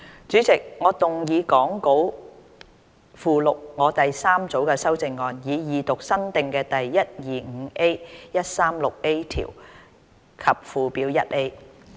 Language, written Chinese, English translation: Cantonese, 主席，我動議講稿附錄我的第三組修正案，以二讀新訂的第 125A、136A 條及附表 1A。, Chairman I move my third group of amendments to read the new clauses 125A 136A and new Schedule 1A as set out in the Appendix to the Script the Second time